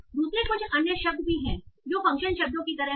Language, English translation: Hindi, Secondly, there are some other words that are also like function words